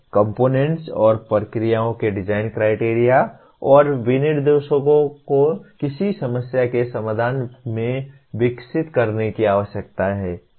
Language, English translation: Hindi, The design criteria and specifications of components and processes need to be evolved from the solutions to a given problem